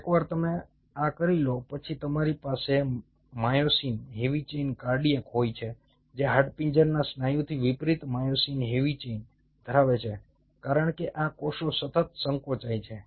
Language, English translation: Gujarati, cardiac has a very different kind of myosin heavy chain, unlike, unlike the skeletal muscle, because these cells continuously contract